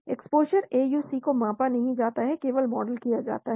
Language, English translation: Hindi, Exposure AUC not measured only modeled